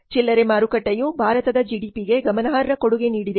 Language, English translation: Kannada, Retail market has significant contribution to India's GDP